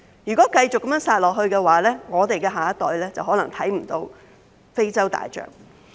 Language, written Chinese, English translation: Cantonese, 如果非法獵殺活動持續下去的話，我們的下一代就可能再也看不到非洲大象。, If illegal poaching persists our next generation may not be able to see African elephants again